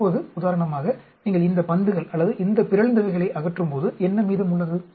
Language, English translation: Tamil, Now, because when you remove for example, these balls or these mutants, what is remaining, changes keep changing